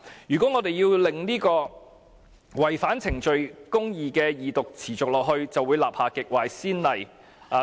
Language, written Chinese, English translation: Cantonese, 如果我們讓違反程序公義的二讀繼續下去，便會立下極壞的先例。, We will set a very bad precedent if we allow the continuation of the Second Reading debate which violates procedural justice